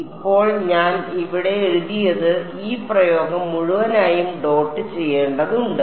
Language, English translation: Malayalam, So, right now what I have written over here this expression just whole thing needs to be dotted with T m